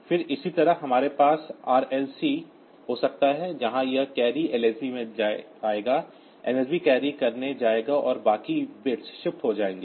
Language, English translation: Hindi, So, and then similarly we can RLC where this carry will come to the LSB, MSB will go to carry and rest of the bits will get shifted